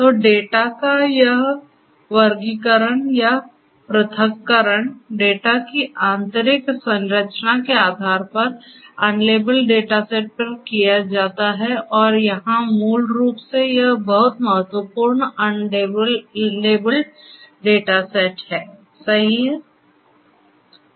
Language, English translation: Hindi, So, this classification or segregation of the data is performed on unlabeled data set based on the inner structure of the data and here basically this is very important unlabeled data set, right